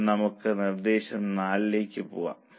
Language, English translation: Malayalam, Now, let us go to Proposal 4